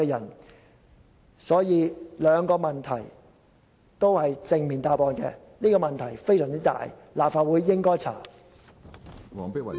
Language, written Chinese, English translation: Cantonese, 因此，既然上述兩個問題的答案也是正面的，而且事關重大，立法會應該調查。, As the answers to the two aforesaid questions are in the affirmative and the incident is of vital importance the Legislative Council should conduct an inquiry